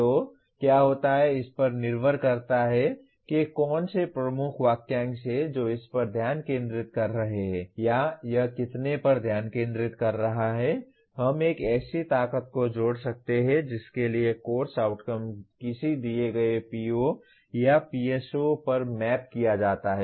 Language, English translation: Hindi, So what would happen, depending on which are the key phrases it is focusing on or how many it is focusing on we can associate a strength to which the course outcome is mapped on to a given PO or a PSO